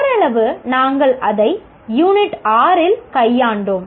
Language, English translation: Tamil, Partly we have dealt with that in Unit 6